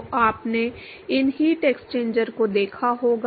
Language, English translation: Hindi, So, you must have seen these heat exchangers